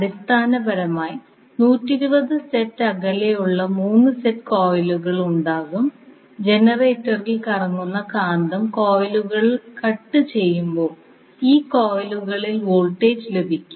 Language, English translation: Malayalam, So, basically you will have 3 sets of coils which are 120 degree apart and when the magnet which is rotating in the generator will cut the coils you will get the voltage induced in these coils